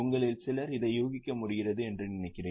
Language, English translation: Tamil, I think some of you are able to guess it